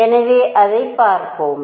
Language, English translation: Tamil, So, let us let us see that